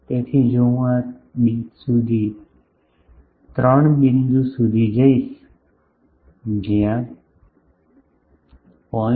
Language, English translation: Gujarati, So, if I go up to this 3 point like where 0